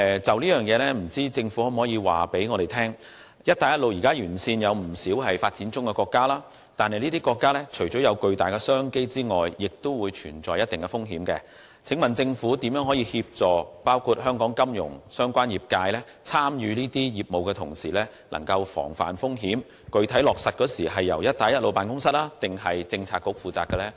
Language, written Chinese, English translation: Cantonese, 就此，政府可否告訴我，現時"一帶一路"沿線有不少發展中國家，而這些國家除了擁有巨大商機外，亦存在一定風險。請問政府會如何協助香港金融相關業界，在參與這些業務的同時防範風險，以及這些措施的具體落實工作是會交由辦公室抑或政策局負責呢？, In this regard can the Government tell me as there are a number of developing countries along the Belt and Road which present immense business opportunities as well as considerable risks how the Government will help the commerce - related sectors in Hong Kong engage in these businesses while avoiding risks and whether the implementation of these measures will be taken charge of by BRO or Policy Bureaux?